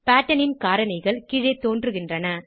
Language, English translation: Tamil, Attributes of Pattern appear below